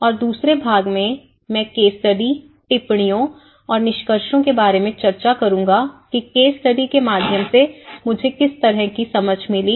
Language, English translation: Hindi, And in the second part, I will be actually discussing about the case studies and my observations and findings about what kind of understanding I got it through the case study approach